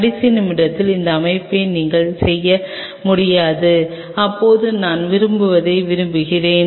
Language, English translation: Tamil, You cannot make this call at the last minute, that now I want this that wants to want